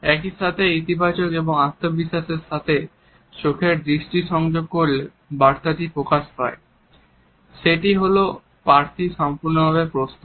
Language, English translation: Bengali, At the same time making eye contact in a positive and confident manner sends the message that the candidate is fully prepared